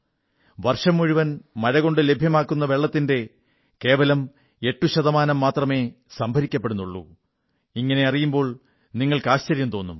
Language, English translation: Malayalam, You will be surprised that only 8% of the water received from rains in the entire year is harvested in our country